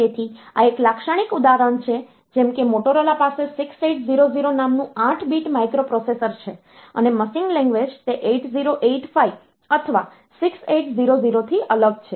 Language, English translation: Gujarati, So, this is a typical example like Motorola it has got an 8 bit microprocessor called 6800 and 8085 machine language is different from that or 6800